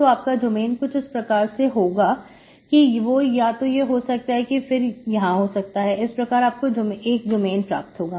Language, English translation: Hindi, So you should have a domain either here or here or here or here or here, so it should be, you can have your domain